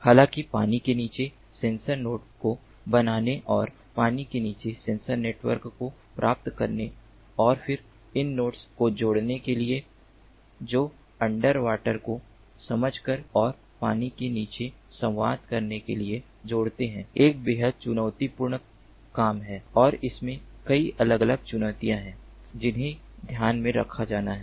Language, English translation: Hindi, however, in practice, achieving and underwater sensor network, fabricating a underwater sensor node and then connecting those nodes to communicate underwater, to sense and communicate underwater, is a hugely challenging task and there are so many different challenges that have to be taken into account